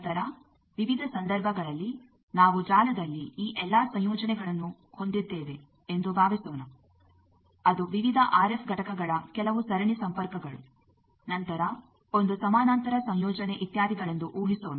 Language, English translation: Kannada, Then in various cases suppose in a network we will have combination of all these, that suppose some series connections of various RF components then a parallel combination etcetera